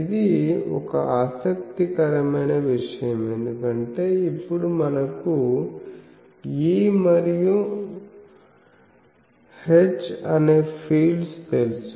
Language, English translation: Telugu, That is an interesting thing because now we know the fields, E theta and H phi